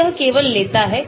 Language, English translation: Hindi, so it takes only